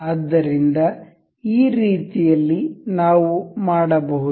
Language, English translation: Kannada, So, in this way we can